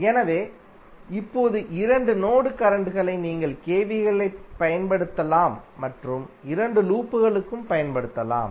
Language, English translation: Tamil, So, now the two mesh currents you can use and apply KVLs for both of the loop